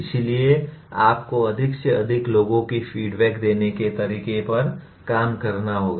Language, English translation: Hindi, So you have to work out a method of giving feedback to the maximum number of people